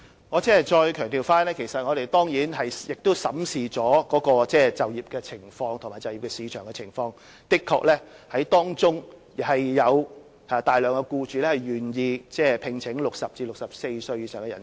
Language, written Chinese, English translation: Cantonese, 我再次強調，我們當然審視了他們的就業情況和就業市場的情況，的確有大量僱主願意聘請60歲至64歲以上的人士。, I stress once again that we have certainly examined their employment situation and the job market . Indeed a large number of employers are prepared to employ people aged between 60 and 64